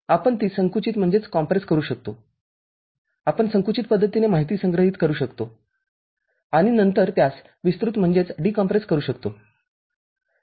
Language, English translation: Marathi, We can compress it, we can store the information in the compressed manner and then we can decompress it